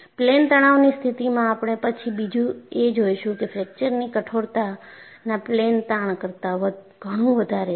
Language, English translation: Gujarati, And in plane stress condition, you would see later, a fracture toughness is much higher than a plane strain